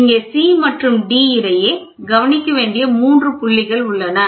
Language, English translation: Tamil, So, here in between C and D, there are 3 points to be noted